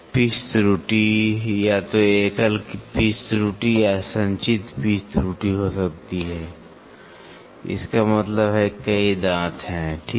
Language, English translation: Hindi, The pitch error can either be single pitch error or accumulated pitch error; that means to say several of the teeth, right